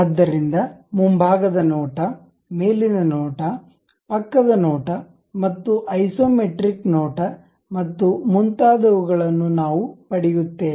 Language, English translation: Kannada, So, something like front view, top view, side view and isometric view we will get